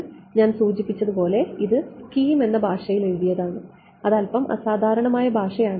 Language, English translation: Malayalam, So, this is as I mentioned is written in a language called scheme which is a slightly unusual language